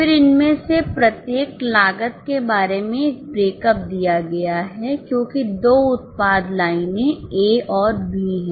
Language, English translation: Hindi, Then a breakup is given about each of this cost because there are two product lines A and B